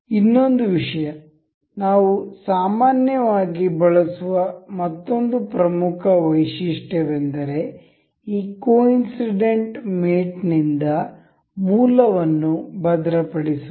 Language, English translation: Kannada, Another thing, another important feature that we generally use this coincidental mate is to fix the origins